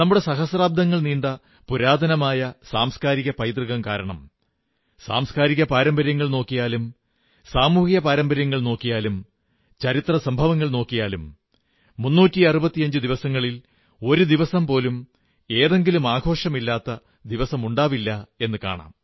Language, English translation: Malayalam, Ours is arich cultural heritage, spanning thousands of years when we look at our cultural traditions, social customs, historical events, there would hardly be a day left in the year which is not connected with a festival